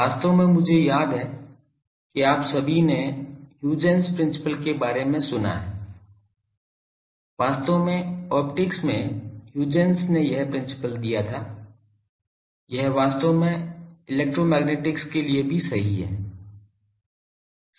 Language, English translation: Hindi, So, actually I recall all of you have heard of Huygens principle, actually in optics Huygens gave this principle actually this is true for electromagnetics also